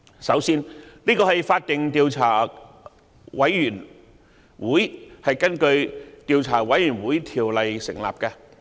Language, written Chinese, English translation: Cantonese, 首先，這是法定的調查委員會，是根據《調查委員會條例》成立的。, First of all it is a statutory Commission of Inquiry established in accordance with the Commissions of Inquiry Ordinance